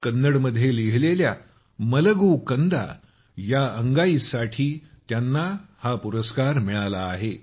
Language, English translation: Marathi, He received this award for his lullaby 'Malagu Kanda' written in Kannada